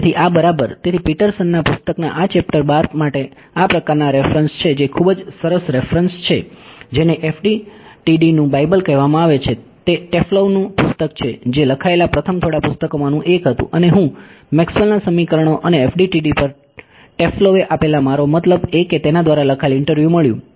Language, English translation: Gujarati, So, these yeah so, these are the sort of references for this chapter 12 of Petersons book which is very nice reference there is the so, called Bible of FDTD it is a book by Taflove which was one of the first few books written and I found a interview written by I mean given by Taflove on Maxwell’s equations and FDTD